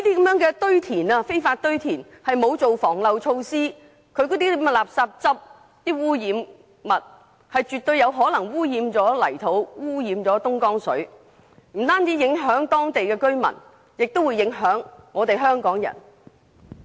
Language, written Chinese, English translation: Cantonese, 由於這些非法堆填行為沒有做好防漏措施，因此那些垃圾汁、污染物絕對有可能污染泥土和東江水，不但影響當地居民，更會影響香港人。, Since no anti - leakage precaution was taken before such unlawful rubbish dumping activities all sorts of liquids and pollutants oozing from the rubbish will definitely pollute the soil and Dongjiang River . In this way not only local residents but also Hong Kong people will be affected